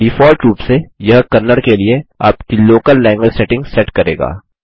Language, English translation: Hindi, By default, this will set your local language setting to Kannada